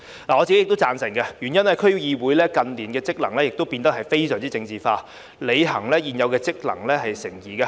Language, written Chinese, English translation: Cantonese, 我本人亦贊同，原因是區議會近年的職能已變得非常政治化，履行原有職能成疑。, I personally agree with this because the functions of DCs have been politicized in recent years and whether they can perform their original functions is doubtful